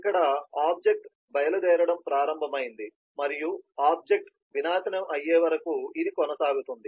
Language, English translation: Telugu, so this is where the object has started leaving and it continues till the object is annihilated